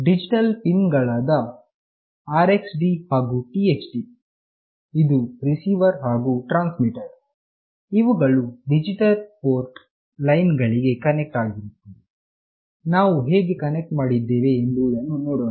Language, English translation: Kannada, The digital pins RXD and TXD, that is the receiver and transmitter, are connected to the digital port lines, we will see that how we have connected